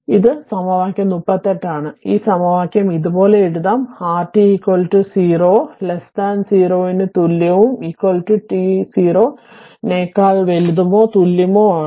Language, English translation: Malayalam, This is equation 38, this equation can be written like this; that r t is equal to 0 or t less than equal to 0 and is equal to t for t greater than or equal to 0